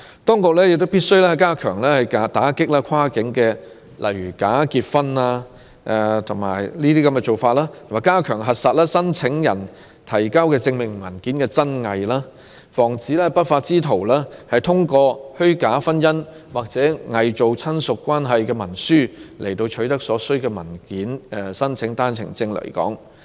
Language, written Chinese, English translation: Cantonese, 當局必須加強打擊跨境假結婚的行為，以及加強核實申請人提交的證明文件的真偽，防止不法之徒通過虛假婚姻或偽造親屬關係的文書，取得所需文件申請單程證來港。, Efforts should be stepped up to combat cross - boundary bogus marriages and to verify authenticity of supporting documents submitted by applicants in order to prevent lawless persons from obtaining documents needed for making an OWP application by way of false marriages or by using forged documents on family relationship